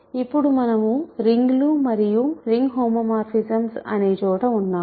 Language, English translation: Telugu, So now, we are in the realm of rings and ring homomorphisms